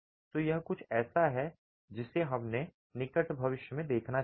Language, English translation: Hindi, So, this is something that we should be seeing in the near future